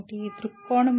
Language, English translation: Telugu, What is the point of view